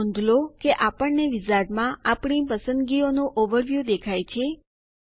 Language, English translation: Gujarati, Now notice that we see an overview of our choices in the wizard